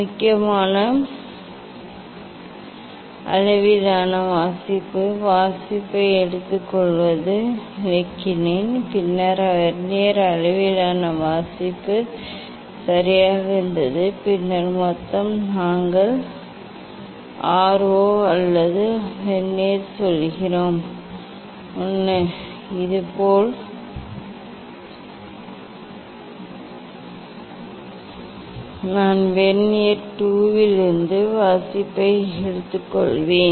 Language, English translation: Tamil, main scale reading, how to take reading I explained then Vernier scale reading right and then total that we are telling R 0 or Vernier 1, similarly I will take reading from Vernier 2